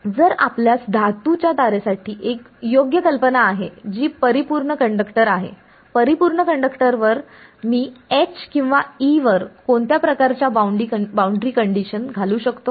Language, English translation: Marathi, So, if your what is a reasonable assumption for a metallic wire that is a perfect conductor; on a perfect conductor what kind of boundary condition can I imposed can I imposed on H or an E